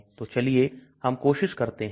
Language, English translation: Hindi, So let us try that